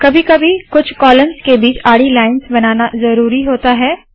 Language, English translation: Hindi, Sometimes it is necessary to draw horizontal lines between only a few columns